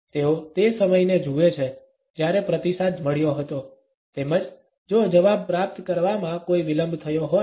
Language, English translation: Gujarati, They look at the time, when the response was received as well as if there is any delay in receiving the reply